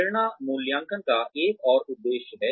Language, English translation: Hindi, Motivation is another aim of appraisals